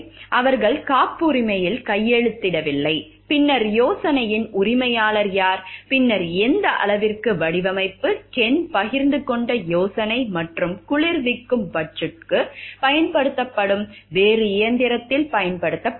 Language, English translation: Tamil, They have not signed the patent then who is the owner of the idea and then to what extent the design, the idea that Ken has shared to a and applied to a different machine used for cooling fudge